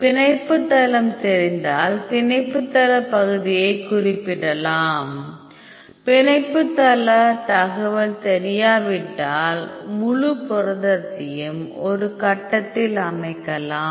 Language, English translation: Tamil, So, if you know the binding site then you can specify the binding site area; if you do not know the binding site information then you can set the whole protein in a grid